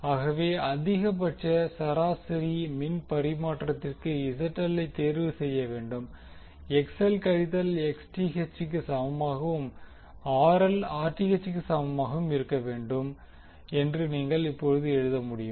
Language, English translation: Tamil, So, what you can write now that for maximum average power transfer ZL should be selected in such a way, that XL should be equal to the minus Xth and RL should be equal to Rth